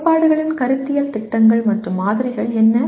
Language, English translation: Tamil, What are conceptual schemas and models in theories